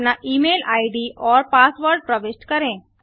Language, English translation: Hindi, Enter your email id and password